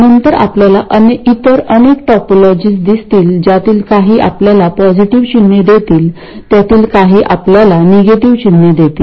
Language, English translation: Marathi, Later you will see many other topologies, some of which will give you positive signs, some of which will give you negative signs